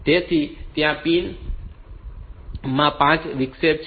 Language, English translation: Gujarati, So, there are 5 interrupt in pins